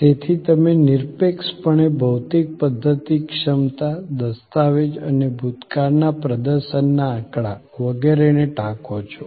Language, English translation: Gujarati, So, you objectively document physical system capacity, document and cite past performance statistics, etc